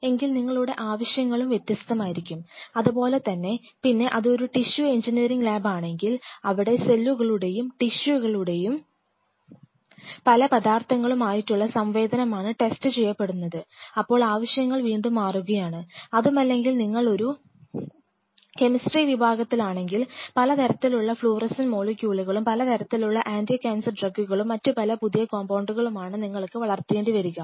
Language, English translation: Malayalam, Then your requirements will be kind of different, similarly if it is a tissue engineering lab where cell tissue interaction with the materials are being tested, again the requirements will be of different type yet if you are a chemistry department which wants to a nurse cream different kind of fluorescent molecule, different kind of anti cancer drugs, a different kind of newly formulated compounds your requirements will be different